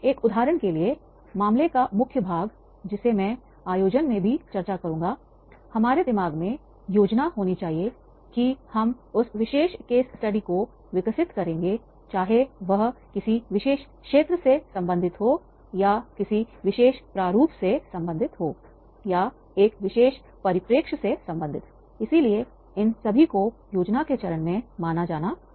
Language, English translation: Hindi, For example, the body of the case that I will discuss in the organizing also, that is how we will develop that particular case study, that planning should be in our mind, whether this will be related to the particular area, this will be related in a particular format, this will be related in a particular perspective, so all these are to be considered in the stage of planning